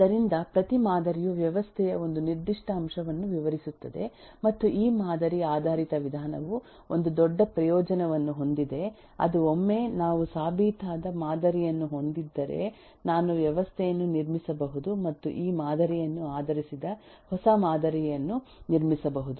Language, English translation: Kannada, So, eh a every model will describe a specific aspect of the system and this model based approach has a big advance that once we have a model which is proven, I can build a system, a new model based on this model